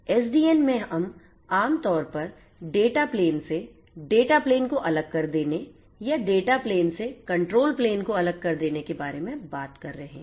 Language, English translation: Hindi, In SDN we are typically talking about decoupling of the data plane from or the decoupling of the control plane from the data plane